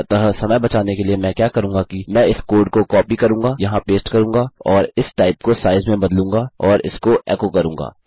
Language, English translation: Hindi, So to save time what Ill do is Ill copy this code,paste it here and change this type to size and echo it out